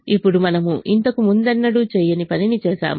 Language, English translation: Telugu, now we have done something which we have never done before